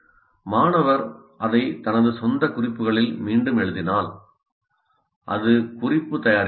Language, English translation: Tamil, If you write that back into your own notes, that doesn't become note making